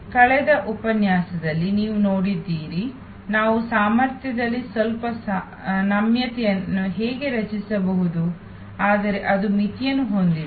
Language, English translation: Kannada, You have seen in the last lecture, how we can create some flexibility in the capacity, but that has limitation